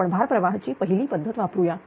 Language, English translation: Marathi, We will use only the first method of the load flow